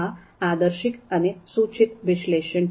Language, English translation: Gujarati, This is normative and prescriptive analysis